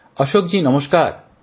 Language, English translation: Bengali, Ashok ji, Namaste